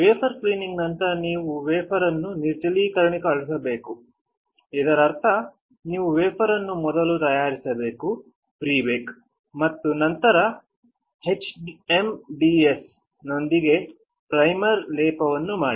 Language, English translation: Kannada, After wafer cleaning you have to dehydrate the wafer; which means that you have to prebake the wafer and then do the primer coating with HMDS